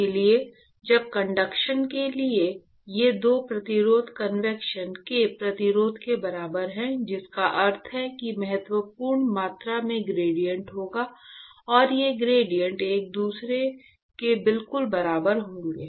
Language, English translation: Hindi, So, when these 2 resistance to conduction is equal to resistance to convection, which means that there will be significant amount of gradient, and these 2 gradients will be exactly equal to each other, right